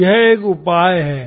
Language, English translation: Hindi, So what is your solution